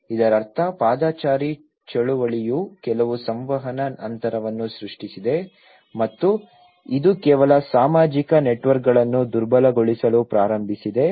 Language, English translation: Kannada, Which means the pedestrian movement have actually created certain communication gap and also it started weakening some social networks